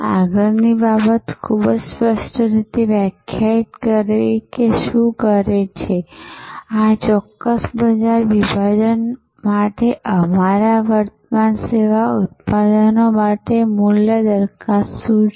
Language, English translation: Gujarati, The next thing is to very clearly defined, that what does, what is the value proposition for our current service products for this particular market segment